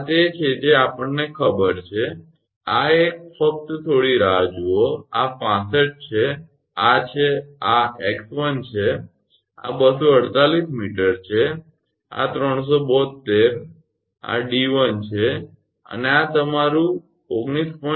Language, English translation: Gujarati, 96 meter that is this one we just got know this one just hold on, this 65 this is this is x 1, this is 248 meter this 372, this is d 1 and this is your 19